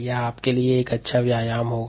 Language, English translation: Hindi, that will be a nice exercise for you